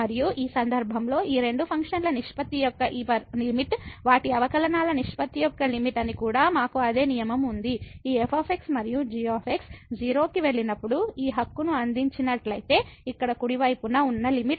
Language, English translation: Telugu, And, in this case also we have the same rule that this limit of the ratio of these two functions will be the limit of the ratio of their derivatives; when this and goes to 0 provided this right that the limit at the right hand side here this exists